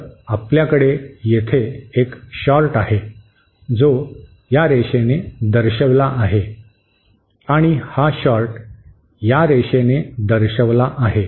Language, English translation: Marathi, So, here we have a short which is represented by this line and this short is represented by this line